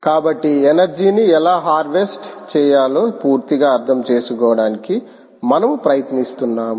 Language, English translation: Telugu, so we are just trying to understand whole end to end of how to harvest energy from